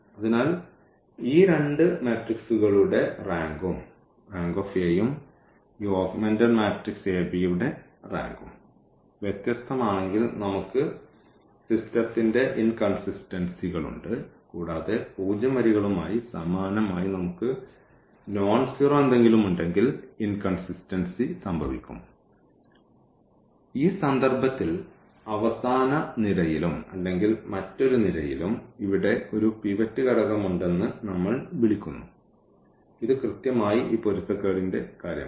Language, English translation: Malayalam, So, if the rank of these two matrices rank of A and rank of this augmented matrix these are different then we have inconsistency of the system and this will exactly happen when we have these here corresponding to zero rows we have something nonzero, then there will be a pivot element here in this column as well in the last column or in other words we call that we have the pivot in the last column and this is exactly the case of this inconsistency